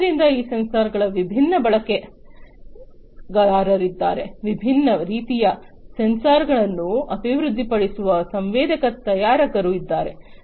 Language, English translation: Kannada, So, there are different players of these sensors, sensor manufacturers are there who develop different types of sensors